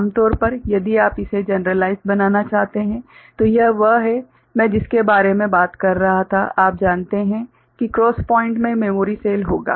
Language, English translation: Hindi, So, generally, if you want to generalize it so, this is what I was talking about this, you know cross point will be having the memory cell